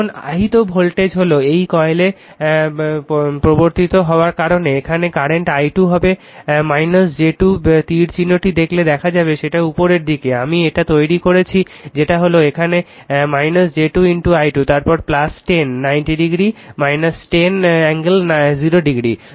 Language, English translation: Bengali, Now, next is voltage induced your what you call in this coil due to the current here i 2 will be minus j 2 look at the arrow here it is upward, I have made it your what you call minus j 2 into i 2 right here, it is minus then minus j 2 into i 2, then plus 10, 90 degree angle, 90 degree minus 10 angle 0 degree